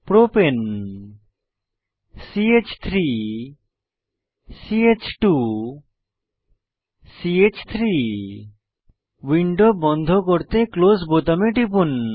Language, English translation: Bengali, Propane CH3 CH2 CH3 Lets click on Close button to close the window